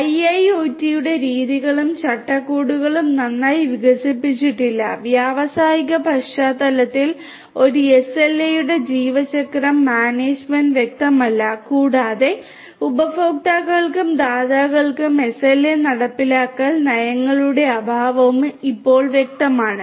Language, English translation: Malayalam, The methodologies and frameworks of IIoT are not well developed, lifecycle management of an SLA in the industrial context is not clear, and the lack of SLA enforcement policies for both the consumers and the providers is also quite evident at present